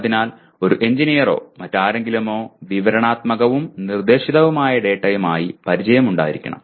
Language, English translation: Malayalam, So an engineer or anyone should be familiar with both descriptive and prescriptive data